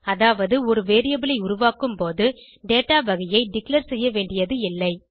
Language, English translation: Tamil, It means that you dont need to declare datatype while creating a variable